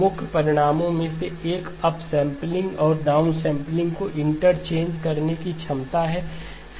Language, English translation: Hindi, One of the key results is the ability to interchange the up sampling and the down sampling